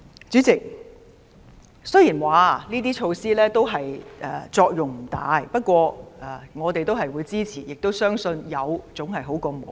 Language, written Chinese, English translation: Cantonese, 主席，雖然說這些措施作用不大，但我們都會支持，亦相信有總好過沒有。, President while we said that these measures may not be very useful we will throw weight behind them and we think that having them is better than having none